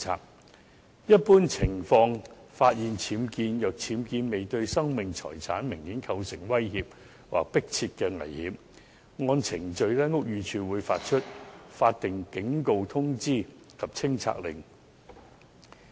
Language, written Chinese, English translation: Cantonese, 在一般情況下，如果僭建物未對生命財產明顯構成威脅或迫切危險，屋宇署會發出法定警告通知及清拆令。, Under normal circumstances if UBWs do not pose an obvious and immediate threat to peoples lives and assets the Buildings Department will issue a statutory warning notice and removal order